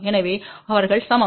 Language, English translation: Tamil, So, they are equal